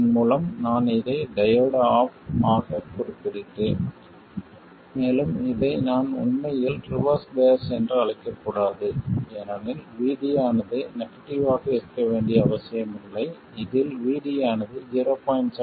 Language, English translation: Tamil, Basically when the diode is off, by the way, I refer to this as the diode being off and I shouldn't really call this reverse bias because VD is not necessarily negative, it also includes VD less than 0